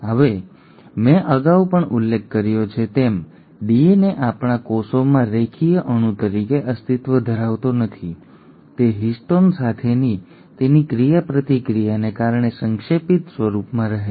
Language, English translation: Gujarati, Now DNA as I had mentioned earlier also, does not exist as a linear molecule in our cells, it kind of remains in a condensed form because of its interaction with histones